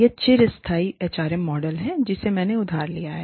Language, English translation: Hindi, This is the sustainable HRM model, which i have borrowed from